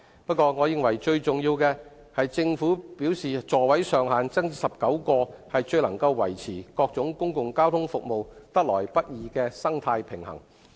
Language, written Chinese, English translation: Cantonese, 不過，我認為最重要的是，政府表示把座位上限增至19個，最能夠維持各種公共交通服務得來不易的生態平衡。, That said I think what matters most is that the Government has indicated that the increase of the maximum seating capacity to 19 can best maintain the delicate balance amongst various public transport services